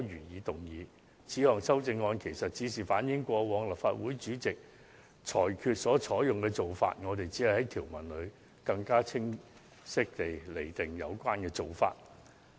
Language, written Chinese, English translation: Cantonese, 我們提出的這項修訂，是反映過往立法會主席所作裁決的實例，我們只是在條文中更清晰指出有關做法而已。, Such a proposed amendment reflects the practical examples previously set by the Presidents of this Council in their rulings and we are just seeking to expressly stipulate in the provisions the relevant procedures taken